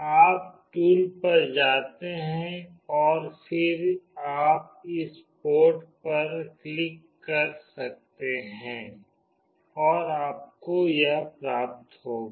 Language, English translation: Hindi, You go to tools and then you can click on this port and you will get this